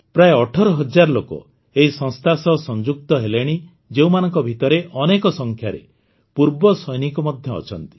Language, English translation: Odia, About 18,000 people are associated with it, in which a large number of our ExServicemen are also there